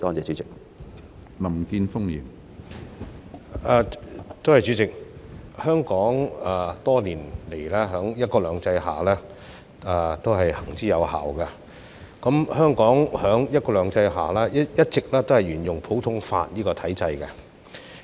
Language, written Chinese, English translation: Cantonese, 主席，多年來，"一國兩制"在香港都是行之有效的，而香港在"一國兩制"下一直都是沿用普通法的體制。, President one country two systems has worked well in Hong Kong for many years and Hong Kong has always followed the common law system under the principle of one country two systems